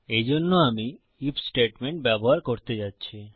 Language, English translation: Bengali, For this I am going to use an IF statement